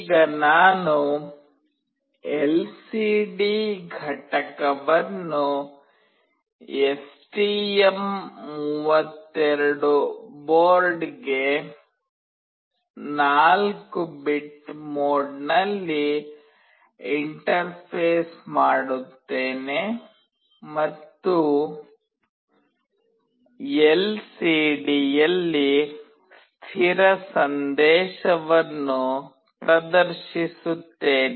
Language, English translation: Kannada, Now I will interface an LCD unit to the STM32 board in 4 bit mode, and display a fixed message on the LCD